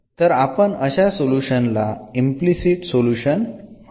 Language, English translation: Marathi, So, we call such solution as implicit solution